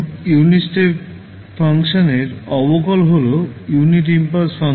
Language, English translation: Bengali, Now, derivative of the unit step function is the unit impulse function